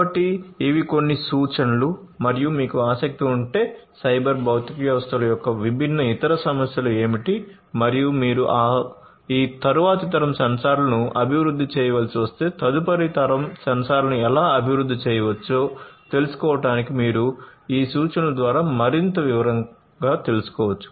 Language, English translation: Telugu, So, these are some of these references and if you are interested you can go through these references in further detail, to know what are the different other issues of the cyber physical systems and how next generation sensors could be developed; if you have to develop these next generation sensors